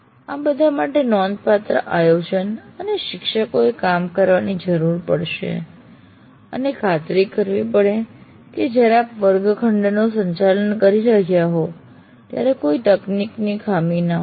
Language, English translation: Gujarati, But all this will require considerable planning and work on the part of the teachers as well as to make sure there are no technology glitches that happen while you are conducting the class